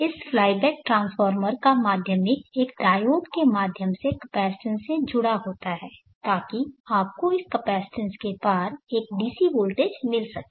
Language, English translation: Hindi, The secondary of this fly back transformer is connected through a diode to a capacitance, so that you get a DC voltage across this capacitance